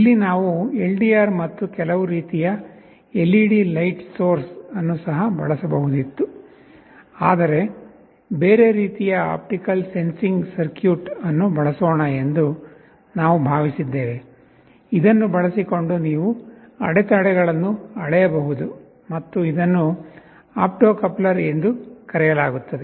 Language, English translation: Kannada, Here we could have used LDR and some kind of LED light source also, but we thought let us use some other kind of an optical sensing circuit, using which you can measure interruptions, and this is something which is called an opto coupler